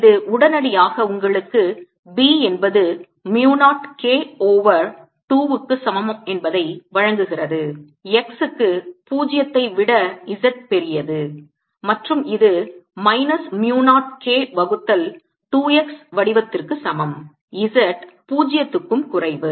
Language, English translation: Tamil, a takes mu zero and this immediately gives you b equals mu, zero, k over two, x for z greater than zero and is equal to minus mu, not k by two x form z less than zero